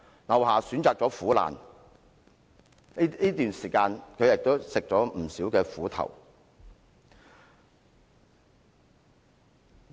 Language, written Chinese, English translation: Cantonese, 劉霞選擇了苦難，這段時間她吃了不少苦頭。, LIU Xia has made a choice and she has suffered greatly these days